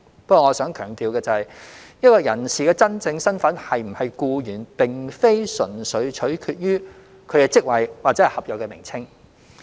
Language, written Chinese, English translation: Cantonese, 不過，我想強調的是，一名人士的真正身份是否僱員，並非純粹取決於其職位或合約名稱。, However I would like to emphasize that a persons genuine status as an employee does not depend solely on the title of his or her position or the contract